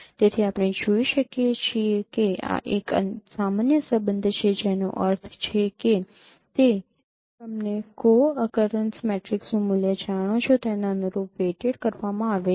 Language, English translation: Gujarati, So we can see that this is a normalized correlation measure which means it is weighted by the corresponding value of the co opinous matrix